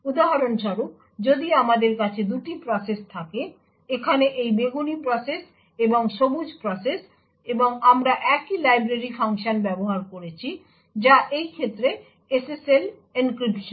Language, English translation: Bengali, So, for example if we have two processes, this purple process and the green process over here and we used the same library function, which in this case is SSL encryption